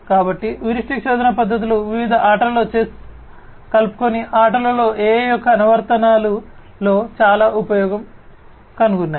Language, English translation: Telugu, And, heuristic search methods have found lot of use in the applications of AI in games in different games chess inclusive